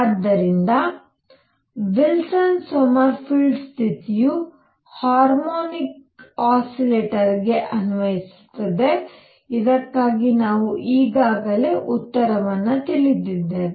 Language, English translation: Kannada, So, Wilson Sommerfeld condition applied to a harmonic oscillator for which recall that we already know the answer